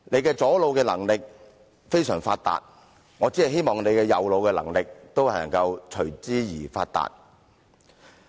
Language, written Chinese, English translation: Cantonese, 他左腦的能力非常發達，我只希望他右腦的能力也同樣發達。, His left brain is well developed and I just hope that his right brain is equally so